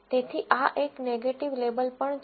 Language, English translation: Gujarati, So, this is also a negative label